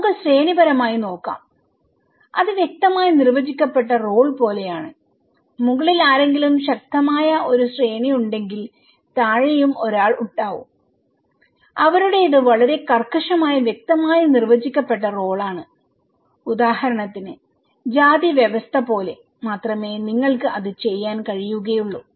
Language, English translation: Malayalam, Let’s look at hierarchical way of looking, it’s like clearly defined role, if there is a strong hierarchy somebody on the top and somebody are bottom okay, they are very rigid clearly defined role, you can only do that like caste system for example